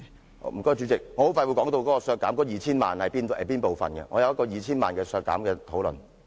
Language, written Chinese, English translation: Cantonese, 謝謝代理主席，我快要說到削減 2,000 萬元的建議，我也會作出討論。, Thank you Deputy Chairman . I am about to talk about the proposal for reducing 20 million and I will also have a discussion about it